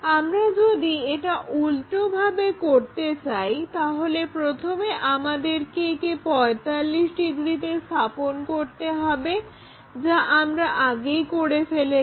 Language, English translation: Bengali, If we want to reverse it first we have to flip that 45 degrees which we have already done then we have to turn it by 30 degrees, that is the way we have to proceed